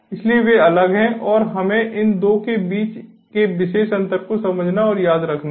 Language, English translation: Hindi, so they are distinct and we have to understand and remember this particular difference between these two